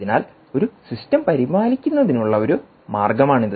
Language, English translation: Malayalam, right, so thats one way of maintaining a system